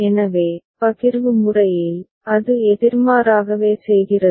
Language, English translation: Tamil, So, in partitioning method, it is just doing the opposite